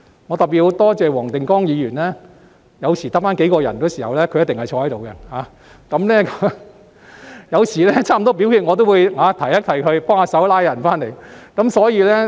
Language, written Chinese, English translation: Cantonese, 我要特別多謝黃定光議員，當場內只剩下數人的時候，他必定留在座位，有時臨近表決一刻，我更會提醒他幫忙把議員們找回來。, I wish to extend my special thanks to Mr WONG Ting - kwong who was always there in his seat when there were only a few Members left in the meeting room and sometimes when we were about to vote on an item he was even reminded to help and call other Members back to the meeting room for me